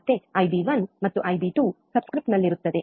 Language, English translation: Kannada, Again B b1 and b 2 would be in subscript